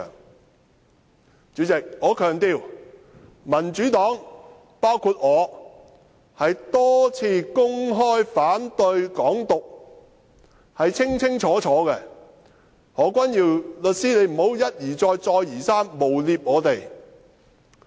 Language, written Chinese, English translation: Cantonese, 代理主席，我強調，民主黨曾多次公開清楚說明反對"港獨"，何君堯律師不要一而再，再而三誣衊我們。, Deputy President I stress that the Democratic Party including myself has repeatedly stated loud and clear its opposition to Hong Kong independence . Solicitor Junius HO please stop smearing us time and again